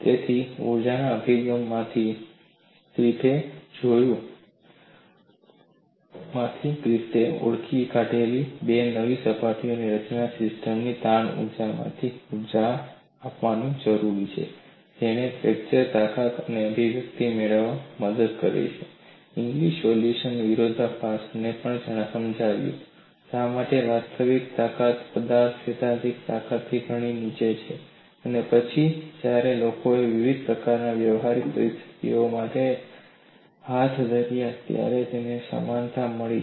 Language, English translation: Gujarati, So from the energy approach, Griffith identified formation of two new surfaces requires energy to be given from the strain energy of the system helped him to get the expression for fracture strength, which also explain the paradox of Inglis solution, also explained why actual strength of the material is far below the theoretical strength, and later on when people carried out for variety of practical situations, they found the similarity